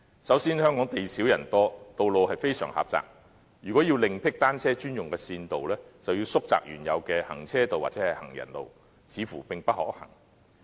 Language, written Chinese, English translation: Cantonese, 首先，香港地少人多，道路非常狹窄，如要另闢單車專用的線道，便要縮窄原有的行車道或行人路，似乎並不可行。, Firstly Hong Kong is small but densely populated with very narrow streets . If bicycles only lanes were to be provided the existing carriageways and pavements would have to be narrowed which appears to be infeasible